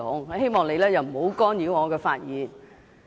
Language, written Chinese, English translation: Cantonese, 我希望你不要干擾我的發言。, I hope you will not disrupt me while I am speaking